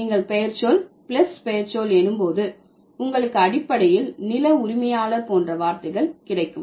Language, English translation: Tamil, So, when you have noun plus noun, you can, you would basically get words like landlord